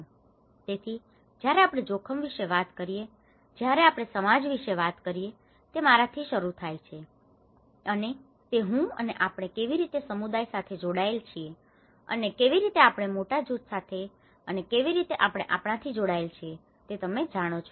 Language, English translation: Gujarati, So, when we talk about the risk, when we talk about the society, it starts with I, and it is I and how we relate to the we as a community and how we relate to our with a larger group and how we are relating to your you know